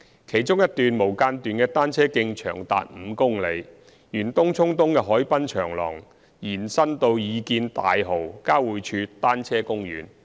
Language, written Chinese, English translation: Cantonese, 其中一段無間斷的單車徑長達5公里，沿東涌東的海濱長廊延伸至擬建大蠔交匯處單車公園。, In particular there will be a continuous cycle track of about 5 km along the waterfront promenade at TCE leading to the proposed cycle park at Tai Ho Interchange